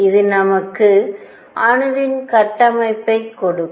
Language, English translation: Tamil, And this would give me structure of atom